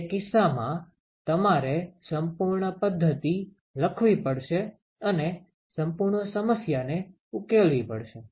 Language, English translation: Gujarati, In that case you will have to write the full model and solve the full problem ok